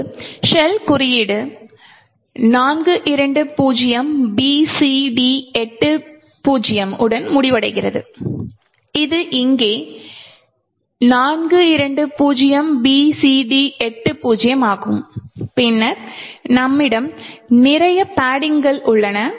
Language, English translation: Tamil, Now the shell code ends over here with 420BCD80 which is here 420BCD80 and then we have a lot of padding which is present